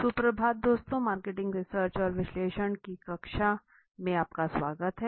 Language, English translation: Hindi, Good morning friends welcome to the class of marketing research and analysis